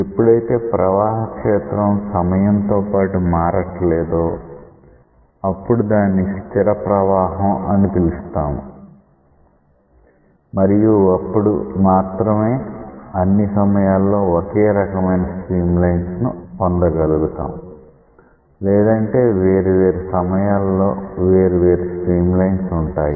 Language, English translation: Telugu, Only when the flow field is not changing with time that is a steady flow you get same stream lines at all instants of time otherwise you may get different stream lines